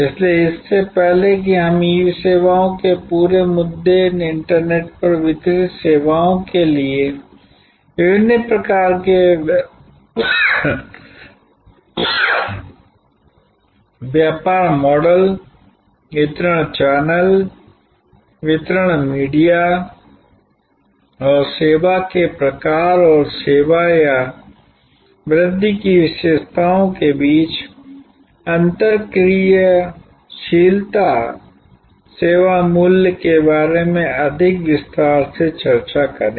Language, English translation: Hindi, So, before we discuss in more detail about the whole issue of E services, different types of business models for services delivered over the internet and interactivity between the delivery channel, delivery media and the type of service and the characteristics of the service or enhancement of the service value